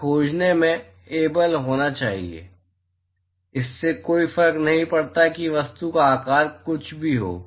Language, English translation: Hindi, That we should be able to find, does not matter whatever the shape of the object